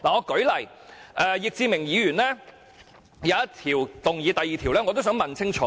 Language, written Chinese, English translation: Cantonese, 舉例而言，就易志明議員的議案第二點，我亦希望他澄清。, For example I also hope that Mr Frankie YICK can clarify point 2 in his motion